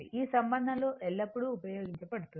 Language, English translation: Telugu, This relationship is always used